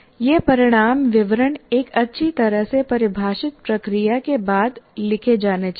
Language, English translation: Hindi, These outcome statements should be written following a well defined process